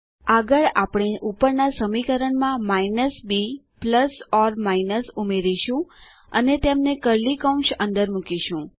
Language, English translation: Gujarati, Next, we will add the minus b plus or minus to the above expression and put them inside curly brackets